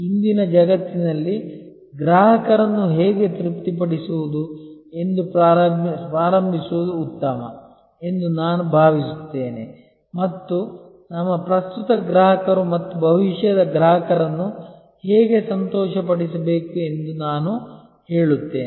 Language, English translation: Kannada, I think in today's world it is better to start with how to satisfy customers and I would say not satisfy, how to delight our current customers and future customers